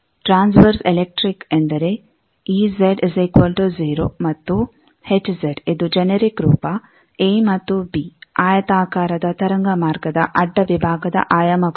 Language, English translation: Kannada, Transverse electric means, ez is equal to and hz this is the generic form a and b are the dimensions of the cross section of the rectangular waveguide